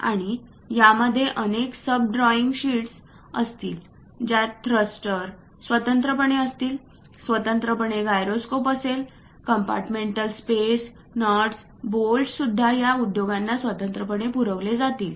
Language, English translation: Marathi, And this will have many sub drawing sheets having thrusters separately, having gyroscope separately, compartmental space separately, even nuts and bolts separately supplied to these industries